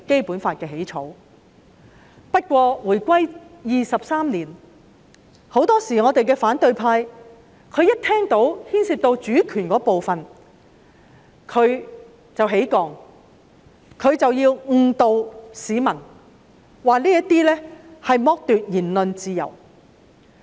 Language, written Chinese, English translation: Cantonese, 不過，回歸23年，反對派很多時候只要聽到牽涉主權便會反抗，誤導市民說這是剝奪言論自由。, However 23 years after the reunification the opposition camp very often rises to oppose anything related to the sovereignty; they will mislead the public by saying that they will be deprived of their freedom of expression